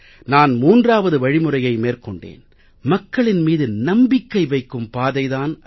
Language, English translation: Tamil, I have chosen the third way out and that is the path of placing trust and confidence in the people and the masses